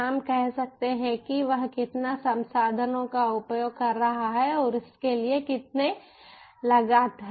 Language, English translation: Hindi, we can say how much resources that he is using, how much costs for that